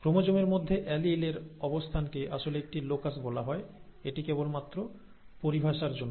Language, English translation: Bengali, The position on the chromosome of that allele is actually called a locus, this is just for the terminology, okay